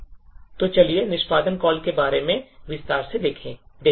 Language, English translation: Hindi, So, let us look a little more in detail about the exec call